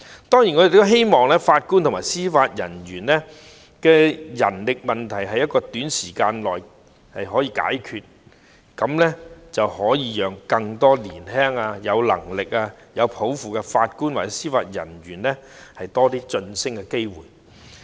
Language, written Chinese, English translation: Cantonese, 當然，我們也希望法官及司法人員的人手問題在短時間內可以解決，這樣便可以讓更多年輕、有能力、有抱負的法官及司法人員有更多晉升機會。, Of course we also hope that the manpower issues of JJOs can be resolved within a short time as this will provide more promotion opportunities to young competent and aspiring JJOs